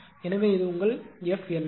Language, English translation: Tamil, So, this is your F LP right